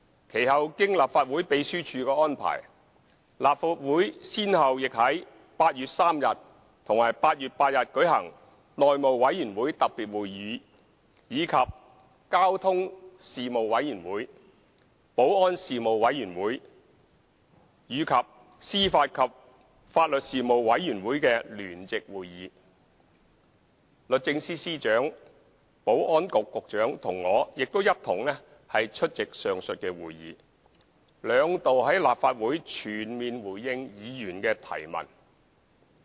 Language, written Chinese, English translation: Cantonese, 其後經立法會秘書處安排，立法會先後於8月3日和8月8日舉行內務委員會特別會議，以及交通事務委員會、保安事務委員會和司法及法律事務委員會的聯席會議，而律政司司長、保安局局長和我亦出席上述會議，兩度在立法會全面回應議員的提問。, Under subsequent arrangements made by the Legislative Council Secretariat a special House Committee meeting and a joint meeting involving the Panel on Transport the Panel on Security and the Panel on Administration of Justice and Legal Services were held on 3 August and 8 August respectively in the Legislative Council . The Secretary for Justice the Secretary for Security and I attended the aforesaid meetings and gave comprehensive replies to Members questions on these two occasions in the Legislative Council